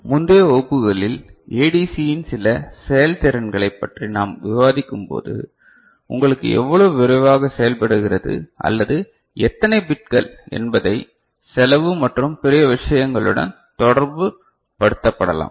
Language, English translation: Tamil, And when we discuss certain performances of ADC in the earlier classes regarding, how fast you know, it works or how many bits that can be associated with cost and other things